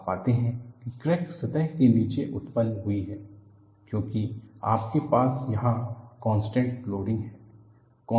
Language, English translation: Hindi, You find the crack has originated below the surface, because you have contact loading here